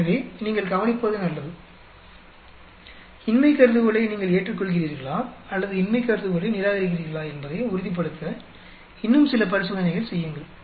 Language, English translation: Tamil, So, you better watch out; do few more experiments to confirm whether you to accept the null hypothesis or reject the null hypothesis